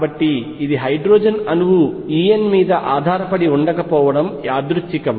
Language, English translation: Telugu, So, this is quite a coincidence for hydrogen atom E n does not depend on l